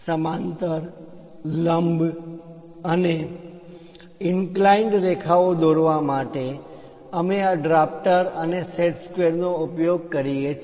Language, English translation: Gujarati, To draw parallel, perpendicular, and inclined lines, we use these drafter along with set squares